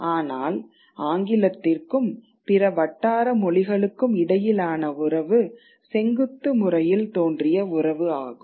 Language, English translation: Tamil, But the relationship between English and the other vernacular languages is a vertical one